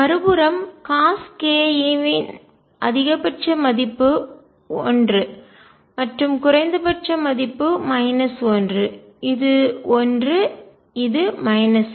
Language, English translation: Tamil, On the other hand cosine k a maximum value is 1 and minimum value is minus 1; this is 1, this is minus 1